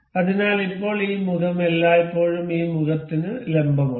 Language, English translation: Malayalam, So, now, this this face is always perpendicular to this face